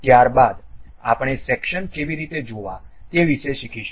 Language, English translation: Gujarati, Thereafter we will learn about how to view sections